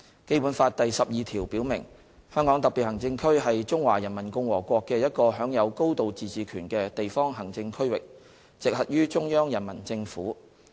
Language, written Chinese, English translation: Cantonese, 《基本法》第十二條表明，"香港特別行政區是中華人民共和國的一個享有高度自治權的地方行政區域，直轄於中央人民政府"。, Article 12 of the Basic Law stipulates that [t]he Hong Kong Special Administrative Region shall be a local administrative region of the Peoples Republic of China which shall enjoy a high degree of autonomy and come directly under the Central Peoples Government